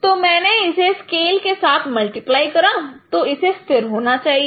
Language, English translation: Hindi, So if I multiply with scale, so this should be constant